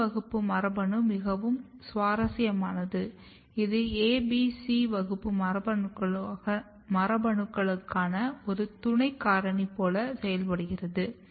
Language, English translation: Tamil, And then if you look the E class gene E class gene is very interesting in a way that it works like a cofactor for A, B, C class genes